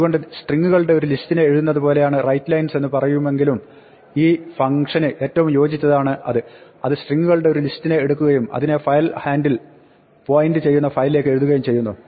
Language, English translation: Malayalam, So, though it says writelines it should be more like write a list of strings, that should, that is a more appropriate name for this function, it just takes a list of strings and writes it to the file pointed to by the file handle